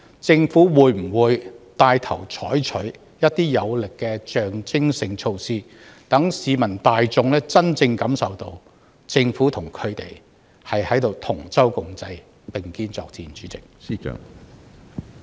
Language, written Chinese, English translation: Cantonese, 政府會否牽頭採取一些有力的象徵性措施，讓市民大眾真正感受到政府與他們同舟共濟，並肩作戰？, Will the Government take the initiative to adopt more persuasive symbolic measures so that members of the public can truly feel that the Government is standing by their side and fighting against the epidemic with them?